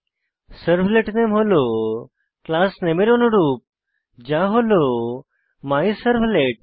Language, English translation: Bengali, We can see that Servlet Name is same as that of the Class Name which is MyServlet